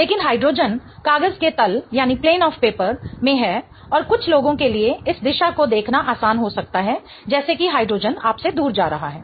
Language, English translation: Hindi, But hydrogen is in the plane of the paper and it might be easier for some people to look in this direction such that the hydrogen is going away from you